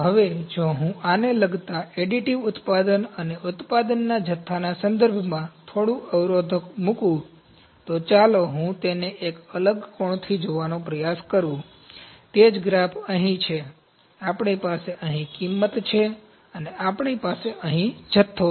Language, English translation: Gujarati, Now, if I put a little deterrent to this regarding, additive manufacturing and regarding production volume, so let me try to view it from a different angle, the same graph it is here, we have cost here, and we have quantity here